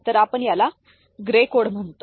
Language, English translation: Marathi, So, that gives rise to what we call gray code